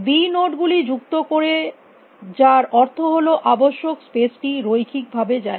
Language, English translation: Bengali, Adds b nodes which means this space required goes linearly